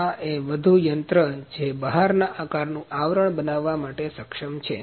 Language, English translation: Gujarati, This is one more machine that is able to produce the outer shape covering